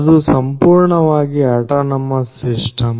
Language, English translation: Kannada, So, that will be a fully autonomous system